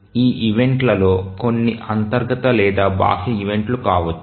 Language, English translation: Telugu, Some of these events may be internal events or may be external events